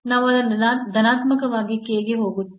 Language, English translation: Kannada, So, then we have that for k positive